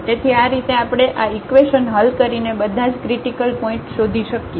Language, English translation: Gujarati, So, in this way we can find all the critical points by solving these equations